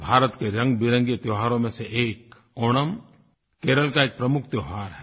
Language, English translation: Hindi, Of the numerous colourful festivals of India, Onam is a prime festival of Kerela